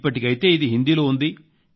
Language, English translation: Telugu, As of now, it is in Hindi